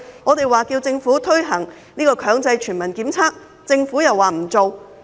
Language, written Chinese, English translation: Cantonese, 我們要求政府推行強制全民檢測，政府又不推行。, While we have asked the Government to introduce mandatory universal testing the Government has not done so